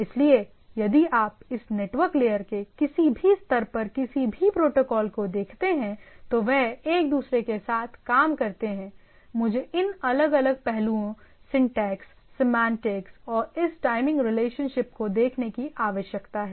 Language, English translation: Hindi, So, that if you look at the protocol as a whole at any layer of this network layer or for that for that matter any systems which communicate with one another, I need to look at this different aspects – syntax, semantics and this timing relationships right